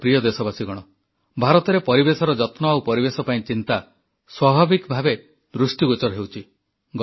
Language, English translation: Odia, My dear countrymen, the concern and care for the environment in India seems natural